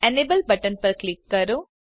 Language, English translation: Gujarati, Click on the Enable button